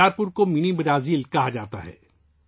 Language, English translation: Urdu, Bicharpur is called Mini Brazil